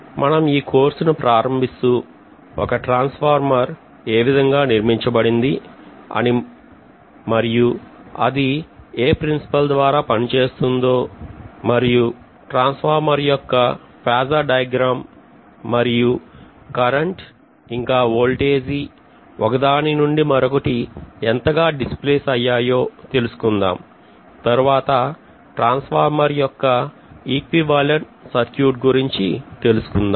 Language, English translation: Telugu, We will of course start with constructional details how the transformer is constructed then after doing that we would be looking at what is the principle of operation and then we will be actually looking at the phasor diagram of the transformer; how the voltages and currents are displaced from each other, then we will be looking at equivalent circuit of the transformer